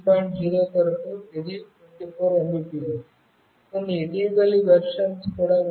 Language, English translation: Telugu, 0, it is 24 Mbps, there are some recent version also